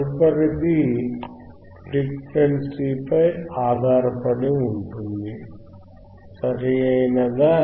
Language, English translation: Telugu, The next would be based on the frequency, right